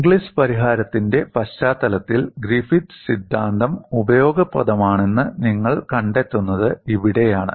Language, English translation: Malayalam, This is where you find Griffith theory is useful at the backdrop of Inglis solution